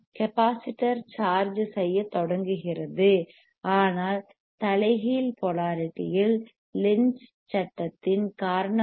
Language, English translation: Tamil, The c and capacitor will starts charging, but in the reverse polarity, because of the Lenz’s law because of the Lenz’s law right